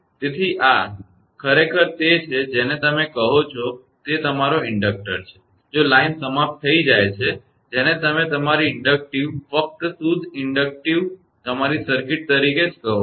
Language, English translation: Gujarati, So, this is actually your what you call this is your inductor if line is terminated your what you call your inductive only pure inductive your circuit right